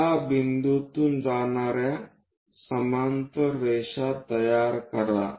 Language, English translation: Marathi, Construct parallel lines which are passing through these points